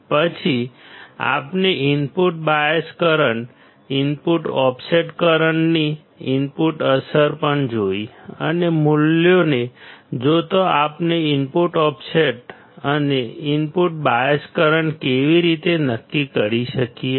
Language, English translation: Gujarati, Then we have also seen the input effect of the input bias current, input offset current and how we can determine them given the values of input offset and input bias current